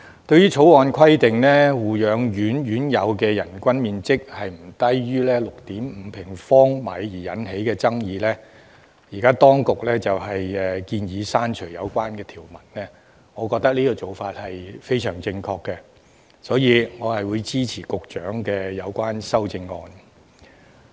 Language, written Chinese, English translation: Cantonese, 對於《條例草案》規定護養院院友的人均樓面面積不得少於 6.5 平方米而引起的爭議，當局現時建議刪除有關條文，我認為做法非常正確，所以我會支持局長的有關修正案。, In response to the controversy arising from the minimum area of floor space 6.5 sq m per nursing home resident provided in the Bill the Administration now proposes to delete the relevant clause . I think it is the right thing to do so I will support the Secretarys amendment